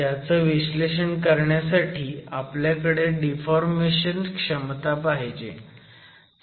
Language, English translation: Marathi, But to be able to do analysis, you also need the deformation capacity